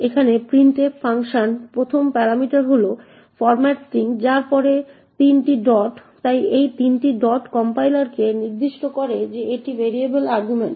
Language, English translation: Bengali, Here is the printf function, the 1st parameter is the format string followed by 3 dots, so this 3 dots indicates to the compiler that it is variable arguments